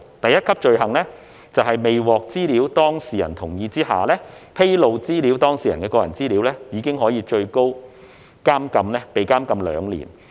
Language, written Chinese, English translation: Cantonese, 第一級罪行，在未獲資料當事人同意的情況下，披露資料當事人的個人資料，最高可以被監禁兩年。, The first tier offence ie . disclosing personal data without the data subjects consent is punishable by imprisonment for up to two years